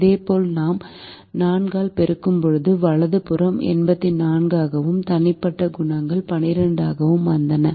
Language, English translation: Tamil, similarly, when we multiplied by four, the right hand side came to eighty four